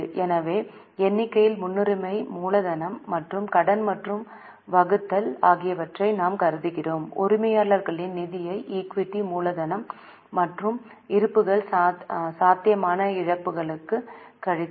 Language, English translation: Tamil, So, in the numerator we consider the preference capital plus debt and the denominator we see the owner's fund that is equity capital plus reserves minus any possible losses